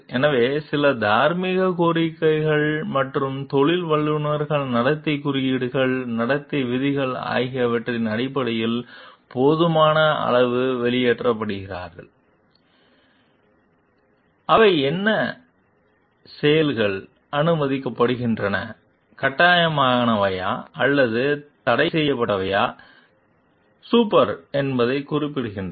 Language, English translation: Tamil, So, some moral demands and professionals are adequately expressible in terms of codes of conduct, rules of conduct that specify what acts are permissible, obligatory or prohibited super